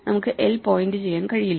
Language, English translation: Malayalam, We cannot change where l points to